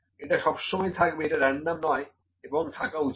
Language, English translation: Bengali, This would always exist; this is not random this should always exist